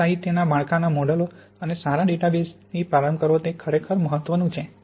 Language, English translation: Gujarati, It is really important to start with good literature structure models, a good database